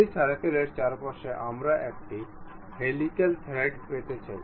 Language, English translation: Bengali, Around that circle we would like to have a helical thread